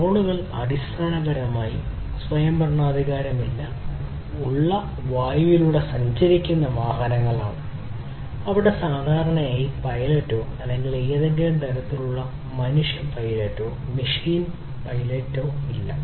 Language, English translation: Malayalam, So, drones are basically autonomous self driven, you know, airborne vehicles which where there is typically no pilot or any kind any kind of human pilot or machine pilot